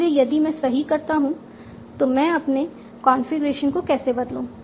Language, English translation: Hindi, So if I do that, how do I modify my configuration